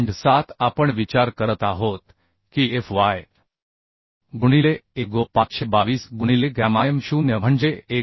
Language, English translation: Marathi, 7 we are considering fy into Ago is 522 by gamma m0 is 1